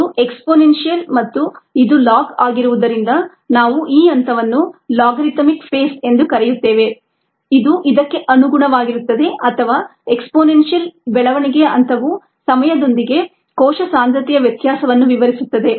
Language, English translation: Kannada, since this is exponential and this is a log, we call the phase as either an logarithmic phase, which corresponds to this, or an exponential growth phase, which actually describes the variation of cell concentration with type